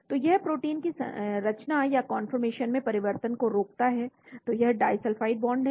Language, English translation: Hindi, So it prevents the changes in the conformation of the protein , so that is disulphide bond